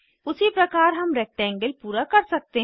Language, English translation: Hindi, Similarly we can complete the rectangle